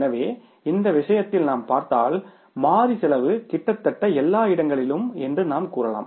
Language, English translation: Tamil, So, in this case if you talk about we can say that in the variable expenses almost everywhere there is a negative variance, right